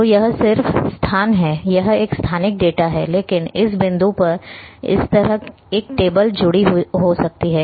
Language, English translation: Hindi, So, it is just having location, it is a spatial data, but this point can have a table attached table like this